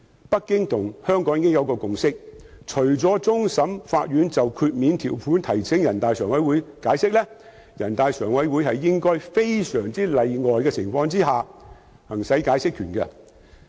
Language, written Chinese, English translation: Cantonese, 北京政府與香港政府已達成共識，除終審法院就豁免條款提請人大常委會解釋，人大常委會應該在非常例外的情況下行使解釋權。, A consensus was reached between the Beijing Government and the Hong Kong Government that apart from CFA seeking NPCSC for an interpretation of the exemption provisions NPCSC should only exercise the right of interpretation under very exceptional circumstances